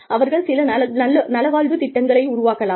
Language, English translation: Tamil, They can institute, some wellness programs